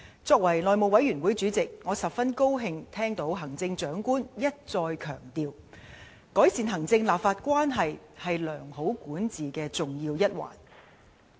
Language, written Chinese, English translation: Cantonese, 作為內務委員會主席，我十分高興聽到行政長官一再強調，改善行政立法關係是良好管治的重要一環。, As the House Committee Chairman I am really glad to hear that the Chief Executive has repeatedly emphasized that improving executive - legislature relationship is an integral part of good governance